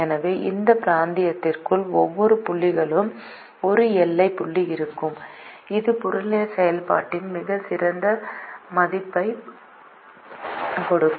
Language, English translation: Tamil, therefore, for every point inside this region, there will be a boundary point that will give a better value of the objective function